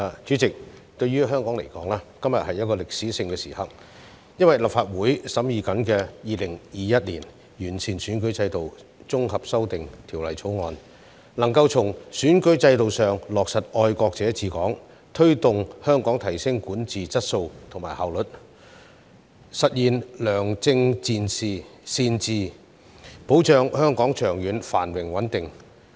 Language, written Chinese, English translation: Cantonese, 主席，對於香港而言，今天是一個歷史性的時刻，因為立法會正在審議的《2021年完善選舉制度條例草案》，能夠從選舉制度上落實"愛國者治港"，推動香港提升管治質素和效率，實現良政善治，保障香港長遠繁榮穩定。, President today is a historical moment to Hong Kong because the Improving Electoral System Bill 2021 the Bill under deliberation by the Legislative Council now can implement patriots administering Hong Kong in the electoral system and give impetus to Hong Kong in enhancing the quality and efficiency of governance thereby achieving good governance and safeguarding Hong Kongs long - term prosperity and stability